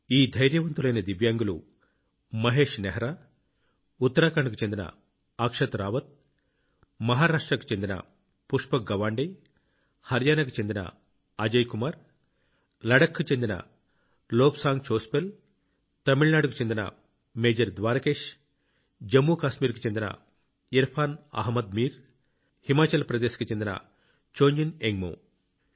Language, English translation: Telugu, The names of these brave Divyangs are Mahesh Nehra, Akshat Rawat of Uttarakhand, Pushpak Gawande of Maharashtra, Ajay Kumar of Haryana, Lobsang Chospel of Ladakh, Major Dwarkesh of Tamil Nadu, Irfan Ahmed Mir of Jammu and Kashmir and Chongjin Ingmo of Himachal Pradesh